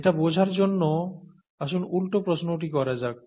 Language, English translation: Bengali, To understand that let us ask the reverse question